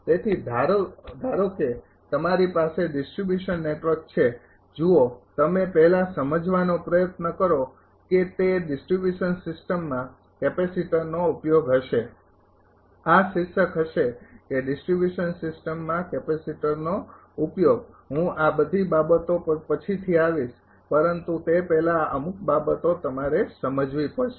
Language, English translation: Gujarati, So, suppose you have a distribution network look you just try to understand first that it will be application of capacitor to distribution system, this will be the headline that application of capacitor to distribution system I will come to that all this thing later, but before that certain things you have to understand